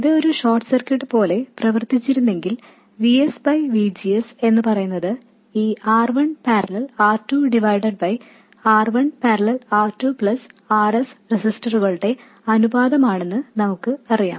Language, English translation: Malayalam, We know that if it did behave like a short circuit, VGS by VS will simply be the ratio of these registers, R1 parallel R2 divided by R1 parallel R2 plus RS